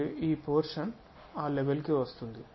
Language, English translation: Telugu, And this one this portion comes at that level